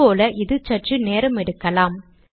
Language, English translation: Tamil, As before, this may take a while